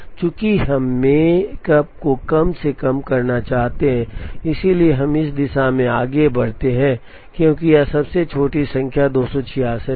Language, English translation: Hindi, Since we want to minimize the makespan, we proceed in this direction, because this is the smallest number 266